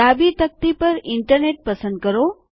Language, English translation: Gujarati, On the left pane, select Internet